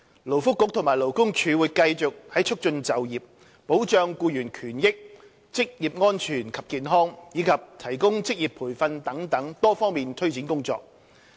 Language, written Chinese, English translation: Cantonese, 勞工及福利局和勞工處會繼續在促進就業、保障僱員權益、職業安全及健康，以及提供職業培訓等多方面推展工作。, The Labour and Welfare Bureau and the Labour Department LD will continue to take forward our initiatives in the areas of promoting employment safeguarding employees rights occupational safety and health providing vocational training and so on